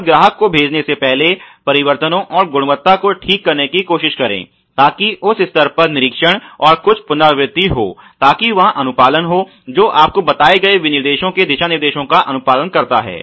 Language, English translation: Hindi, And before dispatching into the customer try to do the changes and the quality inspection therein at that stage so that some rework is done so that the there is compliance you know over all compliance of the guidelines of the specifications laid out